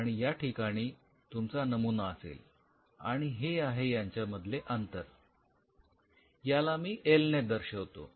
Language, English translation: Marathi, And this is where you have the sample and this distance this distance let us say I just represent by l